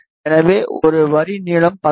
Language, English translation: Tamil, So, a line length of 16